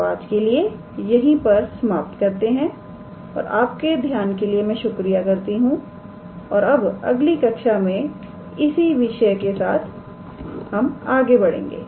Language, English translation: Hindi, So, today we will stop here, and I thank you for your attention and then we will continue with our same topic in the next class